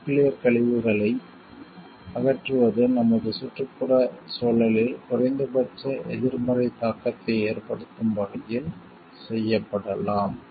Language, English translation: Tamil, Disposition of nuclear waste could be done, in such a way that it leaves minimum negative impact on our environment